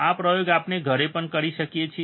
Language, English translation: Gujarati, This experiment we can do even at home, alright